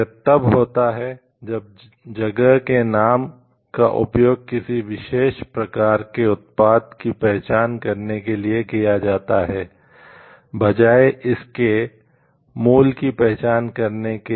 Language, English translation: Hindi, It occurs when the name of the place is used to designate a particular type of product, rather than to indicate it is place of origin